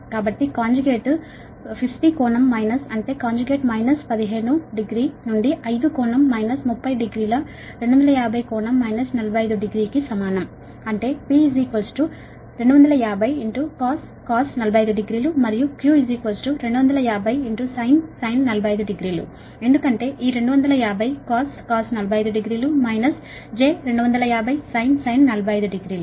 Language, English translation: Telugu, fifty angle minus forty five degree, that means p is equal to two fifty cos forty five degree and q is equal to two fifty sin forty five degree